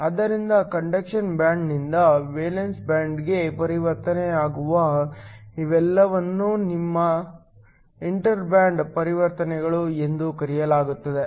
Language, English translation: Kannada, So, all of these where the transition occurs from the conduction band to the valence band is called your inter band transitions